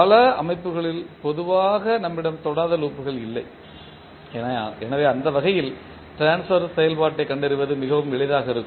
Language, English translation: Tamil, So many system generally we do not have the non touching loops, so in that way this will be very easy to find the transfer function